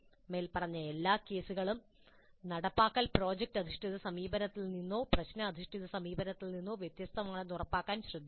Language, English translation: Malayalam, In all of these above cases care must be taken to ensure that this implementation remains distinct from product based approach or problem based approach